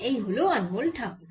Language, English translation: Bengali, so here is anmol takur